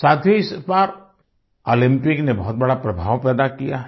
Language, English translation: Hindi, this time, the Olympics have created a major impact